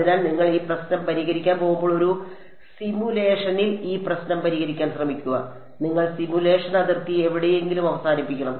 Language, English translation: Malayalam, So, when you go to solve try to solve this problem in a simulation you have to end the simulation boundary somewhere right